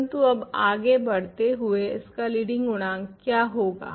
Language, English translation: Hindi, But, now continuing here, what is leading coefficient of this